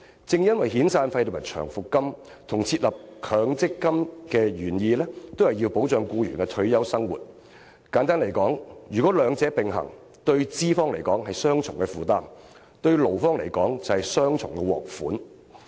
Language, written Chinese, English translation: Cantonese, 正因為遣散費和長期服務金與設立強積金的原意均是要保障僱員的退休生活，如果兩者並行，對資方來說是雙重負擔；而對勞方來說，則是雙重獲益。, As the origin intents to introduce severance and long service payments as well as MPF were to safeguard employees retirement protection if the two run in parallel employers have to shoulder double burdens while employees can enjoy double benefits